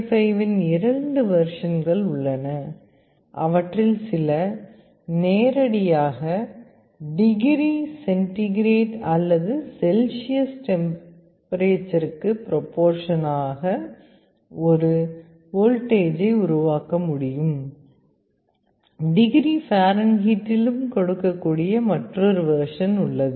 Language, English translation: Tamil, There are two versions of LM35 available, some of them can directly generate a voltage proportional to the temperature in degree centigrade or Celsius, there is another version that can also give in degree Fahrenheit